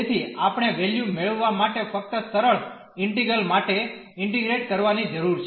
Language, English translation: Gujarati, So, we need to just integrate the simple integral to get the values